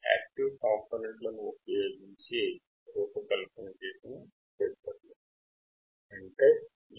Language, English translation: Telugu, Active filters are filters that are designed from components which are active; i